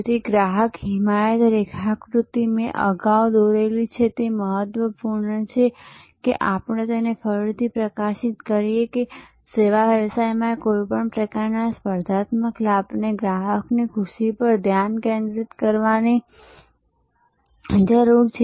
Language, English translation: Gujarati, So, customer advocacy, this diagram I have drawn before and it is important that we highlight it again that in service businesses any kind of competitive advantage needs to stay focused on customer delight